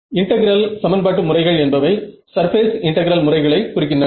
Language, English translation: Tamil, So, by integral equation methods, I am particularly talking about surface integral methods ok